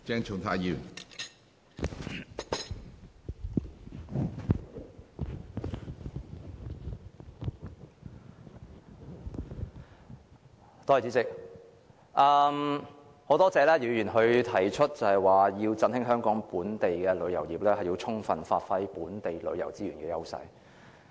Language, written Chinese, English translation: Cantonese, 主席，我很感謝姚議員提出，為振興香港本地旅遊業，政府應充分發揮本地旅遊資源的優勢。, President I am very grateful to Mr YIU for suggesting that the Government should give full play to the edges of local tourism resources to boost Hong Kongs local tourism industry